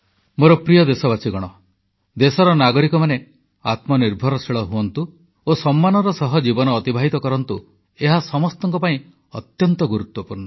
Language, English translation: Odia, My dear countrymen, it is very important for all of us, that the citizens of our country become selfreliant and live their lives with dignity